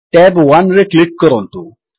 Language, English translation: Odia, Click on tab 2